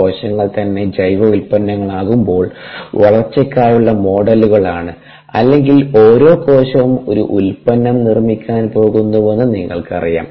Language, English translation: Malayalam, when cells themselves are the bioproducts, or you know, e, ah, the, each cell is going to produce a product